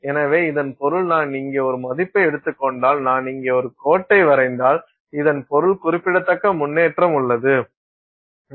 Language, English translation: Tamil, So, this means if I take a value here and if I just draw a line here, this means there is significant improvement